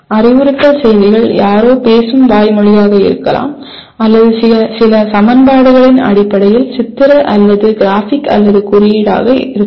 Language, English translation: Tamil, The instructional messages can be verbal that is somebody speaking or it can be pictorial or graphic or symbolic in terms of equations